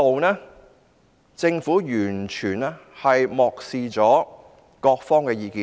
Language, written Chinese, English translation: Cantonese, 就此，政府完全漠視各方的意見。, Regarding this the Government has completely ignored the views of various sides